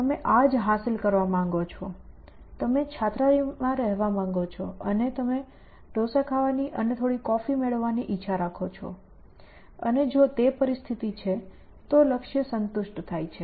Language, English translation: Gujarati, You say that this is what you want to achieve, you want to be in the hostel and you want to be eating dosa and having some coffee and if that is a situation, then the goal is satisfied